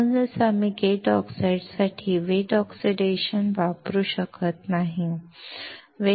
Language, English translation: Marathi, That is why we cannot use the wet oxidation for the gate oxide